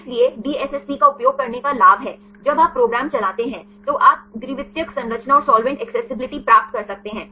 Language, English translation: Hindi, So, there is advantage of using DSSP, you can get the secondary structure and solvent accessibility simultaneously when you run the program